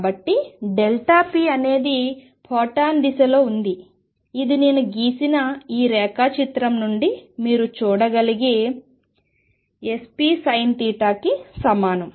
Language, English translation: Telugu, So, delta p is in the direction of photon, which is equal to 2 p electron sin of theta which you can see from this diagram that I have made